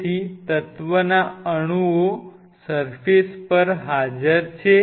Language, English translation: Gujarati, So, atoms of element are present on the surface